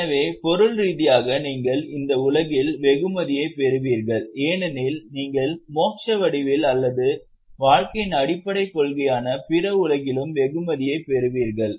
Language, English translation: Tamil, So materially because you will get reward in this world, you will also get reward in the form of Muksha or in other world